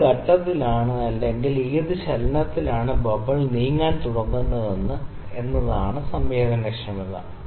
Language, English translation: Malayalam, So, the sensitivity is that at what point at what movement does the bubble starts moving